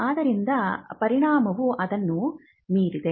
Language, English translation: Kannada, So, the effect is beyond that